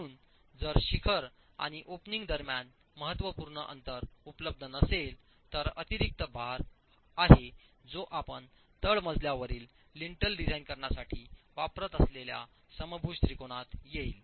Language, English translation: Marathi, So if significant distance between the apex and the opening is not available, there is additional load that will actually come to the equilateral triangle which you are using to design the lintel in the ground story